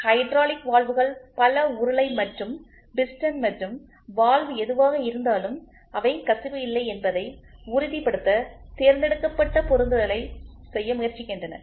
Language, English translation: Tamil, Many of the hydraulic valves the cylinder and the piston and the valve whatever it is they try to do selective assembly to make sure there is no leak